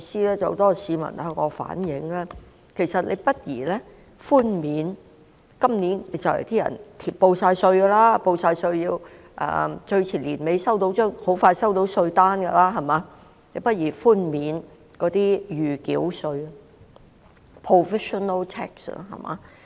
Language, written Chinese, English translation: Cantonese, 有很多市民向我反映，既然他們都已遞交今年的報稅表，最遲在年底時便會收到稅單，那麼，政府何不考慮寬免今年的暫繳稅呢？, I received a suggestion from many citizens that since they have already filed their tax returns for this year and will receive their tax bills at the end of this year the latest why does the Government not consider waiving the provisional tax for this year?